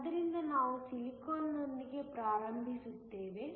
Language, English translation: Kannada, So, we will start with Silicon